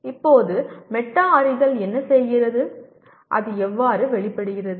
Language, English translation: Tamil, Now further what does metacognition, how does it manifest